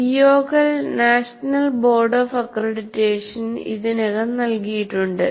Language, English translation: Malayalam, O's are already given by National Board of Accreditation